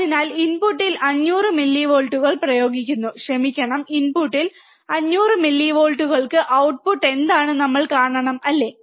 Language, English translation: Malayalam, So, applying 500 millivolts at the input, sorry, 500 millivolts at the input what is the output that we have to see, right